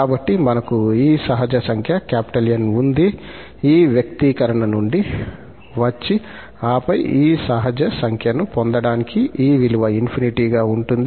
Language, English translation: Telugu, So, we have this natural number N just coming from this expression and then having this rounded towards infinity to get this natural number